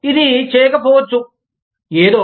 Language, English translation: Telugu, It may not do, something